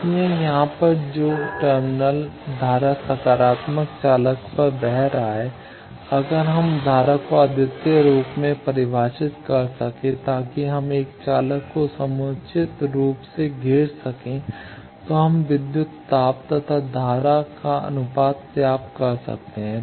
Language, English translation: Hindi, So, here the terminal current that is flowing on positive conductor, if we can have that current uniquely defined for any contour closed path enclosing positive conductor then we can define the ratio of voltage and current